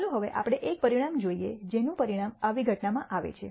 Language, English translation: Gujarati, Now let us look at one outcome which results in such a such a event